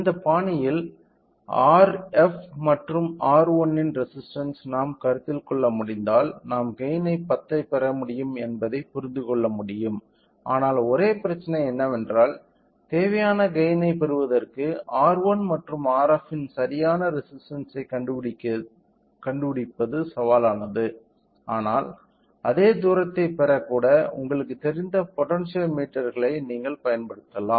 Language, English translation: Tamil, So, if we can consider a resistance of R f and R 1 in this fashion we can understand we can get a gain of 10, but the only problem is that finding out the exact resistance of R 1 and R f in order to get a required gain is little challenging, but you can use of you know potentiometers even to get the same distance